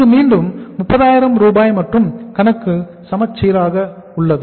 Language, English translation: Tamil, This is again 30,000 and account is balanced